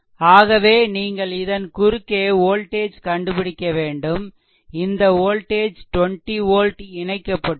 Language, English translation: Tamil, Therefore you have to find then this and across this across this the voltage actually will be 20 volt your what you call is connected